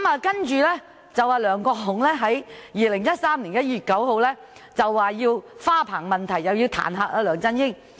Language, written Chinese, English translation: Cantonese, 其後，梁國雄議員在2013年1月9日再就花棚問題彈劾梁振英。, Subsequently on 9 January 2013 LEUNG Kwok - hung proposed to impeach LEUNG Chun - ying for his trellis